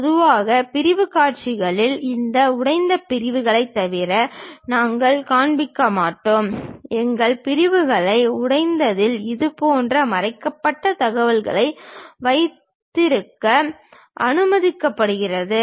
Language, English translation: Tamil, Typically in sectional views, we do not show, except for this broken out sections; in broken our sections, it is allowed to have such kind of hidden information